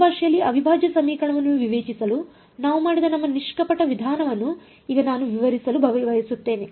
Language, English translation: Kannada, Now I want to describe our naive approach that we did of discretizing the integral equation in the new language